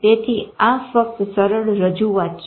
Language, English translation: Gujarati, So this is just a simpler representation